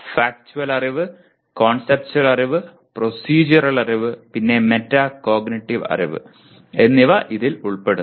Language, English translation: Malayalam, These include Factual Knowledge, Conceptual Knowledge, Procedural Knowledge, and Metacognitive Knowledge